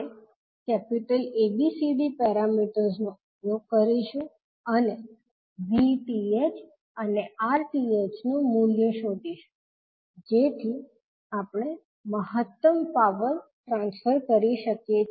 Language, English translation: Gujarati, So we will use ABCD parameters and find out the value of VTH and RTH so that we can find out the value of maximum power to be transferred